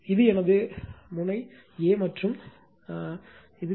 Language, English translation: Tamil, This is my terminal A and this is my B